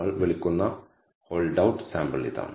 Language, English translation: Malayalam, This is the hold out sample as we call it